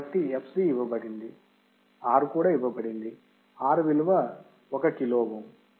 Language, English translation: Telugu, So, fc is given R is given right where is R, R is 1 kilo ohm